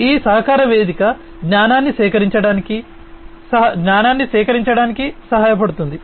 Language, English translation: Telugu, This collaboration platform will help in collecting knowledge, collecting knowledge